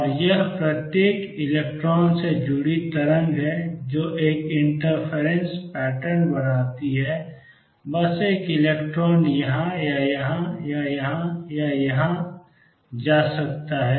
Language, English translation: Hindi, And it is the wave associated with each electron that form a interface pattern is just that one electron can go either here or here or here or here